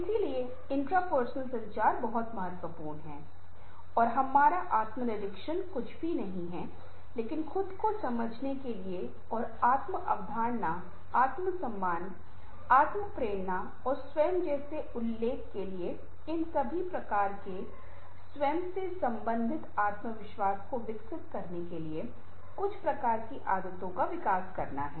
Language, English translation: Hindi, so intrapersonal communication is very, very important and our intrapersonal is nothing but developing certain kinds of ah habits within ourselves to understand ourselves and to develop confidence related to all these kinds of self as i mention, like self concepts, self esteem, self actualization, self motivation and the self emotion, etcetera, etcetera